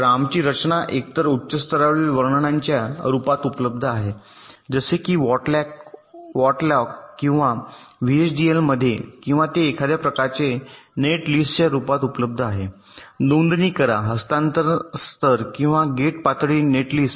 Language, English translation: Marathi, so our design is available either in the form of a high level description, like in verilog or vhdl, or it is available in the form of some kind of a netlist, register, transfer level or gate level netlist